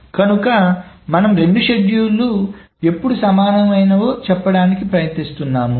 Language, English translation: Telugu, So the equivalence, essentially we are trying to say when are two schedules equivalent